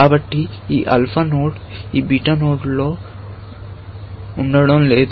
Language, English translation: Telugu, So, this alpha node is not going to be in this beta node